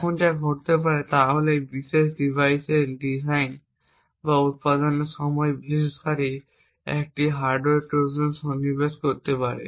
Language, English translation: Bengali, Now what could happen is during the design or manufacture of this particular device, developer could insert a hardware Trojan